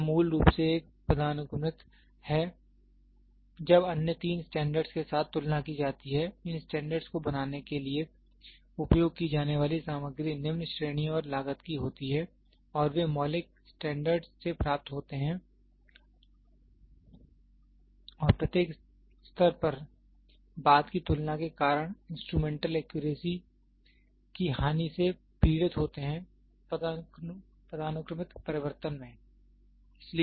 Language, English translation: Hindi, It is basically a hierarchical when comparing with the other three standards, the materials used to make these standards are of lower grade and cost and they are derived from the fundamentals standards and suffer from a loss of instrumental accuracy due to subsequent comparison at each level in the hierarchical change